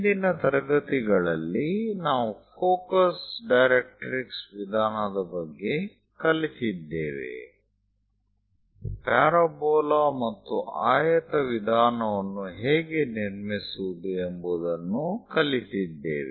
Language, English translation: Kannada, So, in the last classes, we have learned about focus directrix method; how to construct a parabola and a rectangle method